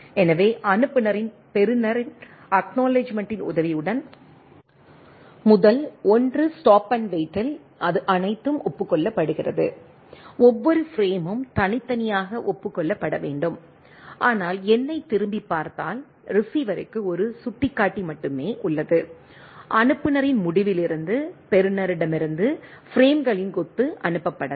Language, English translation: Tamil, So, the sender receiver with help of acknowledgement, in case of the first 1 stop and wait it is everything is acknowledged, every frame to individually acknowledged, but in go back N what we have seen that, the receiver has only 1 pointer, where as a bunch of thing, bunch of frames can be send from the receiver from the sender end